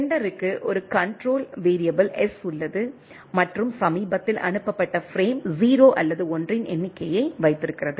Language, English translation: Tamil, The sender has a control variable S and holds the number of the recently sent frame 0 or 1 right